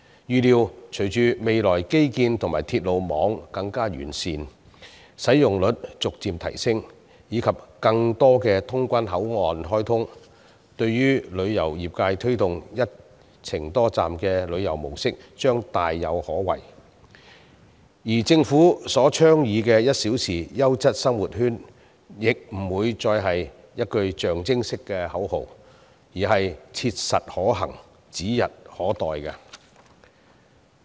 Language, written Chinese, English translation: Cantonese, 預料隨着未來基建及鐵路網更趨完善，使用率逐漸提升，以及有更多通關口岸開通，旅遊業界推動的"一程多站"旅遊模式將大有可為，政府倡議的1小時優質生活圈亦不會是一句象徵式的口號，而是切實可行，指日可待。, It is anticipated that with further enhancement of infrastructural facilities and the railway network in the future the gradual increase in their usage rates and the commissioning of more boundary crossings there will be a bright prospect for multi - destination travel a model of travel which the tourism industry has been promoting . The Governments ideal of one - hour quality living sphere will not be an empty slogan but a vision to be materialized in the near future